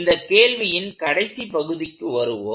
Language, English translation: Tamil, So, let us come to the last part of this question